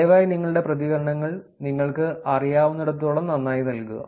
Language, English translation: Malayalam, Please provide your responses to the best of your knowledge